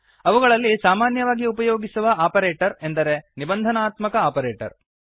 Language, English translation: Kannada, One of the most commonly used operator is the Conditional Operator